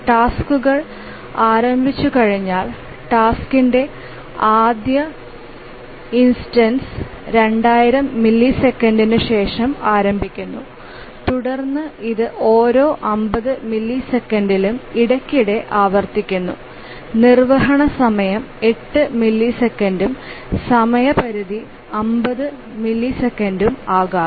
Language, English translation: Malayalam, And then once the task starts the first instance of the task starts after 2,000 milliseconds and then it periodically recurs every 50 milliseconds and the execution time may be 8 milliseconds and deadline is 50 milliseconds